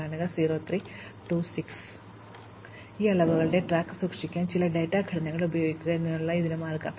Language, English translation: Malayalam, So, the way to do this is to use some data structures to keep track of these quantities